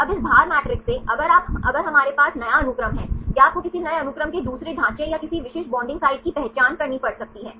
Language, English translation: Hindi, Now from this weight matrix, now if we have new sequence or you can have to identify the second structure or any specific binding site of any new sequence